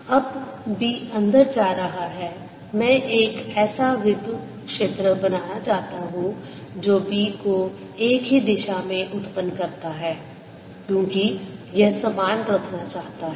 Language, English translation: Hindi, i would like to have an electric field that produces b in the same direction because it wants to keep the same